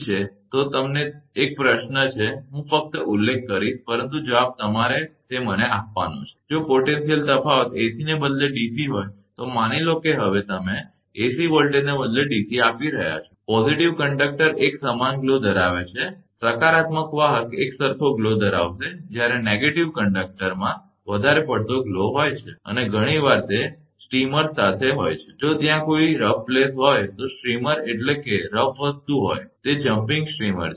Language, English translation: Gujarati, So, if the applied potential difference is a DC, this is a question to you, I will only mention, but answer you should give it to me, if the potential difference is DC instead of AC, suppose you are applying now DC voltage instead of AC the positive conductor having a uniform glow, the positive conductor will have uniform glow while, the negative conductor has a more patchy glow and often it is accompanied by streamers, if there are any rough places, streamer means if rough a thing it is a jumping steamers right